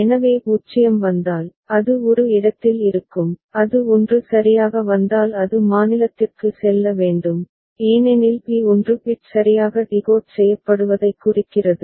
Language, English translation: Tamil, So if 0 comes, then it will stay at a and if it 1 comes right it has to go to state b because b refers 1 bit is correctly decoded